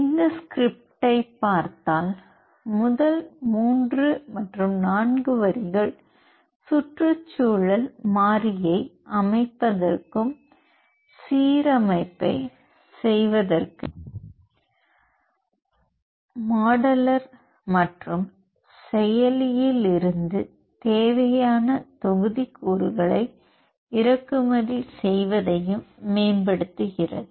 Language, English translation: Tamil, So, if you look at this script, the first 3 4 lines corresponds to setting up the environment variable and improve importing the necessary modules from modular and action to perform the alignment